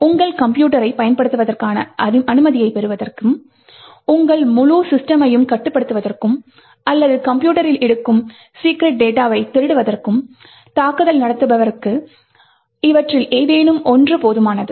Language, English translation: Tamil, Any one of these is sufficient for the attacker to get access into your system and therefore control your entire system or steal secret data that is present in the system